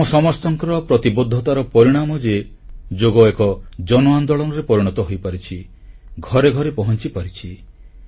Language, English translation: Odia, It is the result of our concerted efforts and commitment that Yoga has now become a mass movement and reached every house